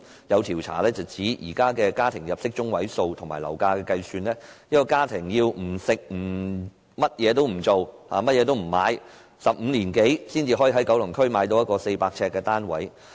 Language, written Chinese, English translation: Cantonese, 有調查指出，以現時的家庭入息中位數及樓價計算，一個家庭如果不食不消費，也要超過15年才能夠在九龍區購置一個400呎的單位。, According to a survey with calculations made on the basis of the current median household income and property prices a family has to spend no money on food and other items and save for more than 15 years before it can afford to buy a 400 sq ft flat in Kowloon